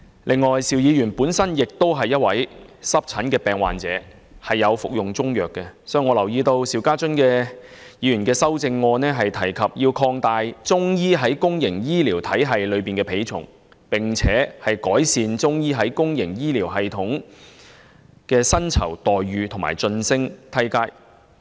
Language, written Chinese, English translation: Cantonese, 此外，邵議員本身亦是一位濕疹病患者，並且有服用中藥，所以我留意到，他在修正案中建議"擴大中醫在公營醫療體系的比重，並改善中醫在公營醫療體系的薪酬待遇及晉升階梯"。, In addition he is an eczema patient who has been taking Chinese medicine and that explains why I noted in his amendment the suggestion of increasing the weighting of Chinese medicine in the public healthcare system and improve the remuneration packages and career advancement ladder of Chinese medicine practitioners in the public healthcare system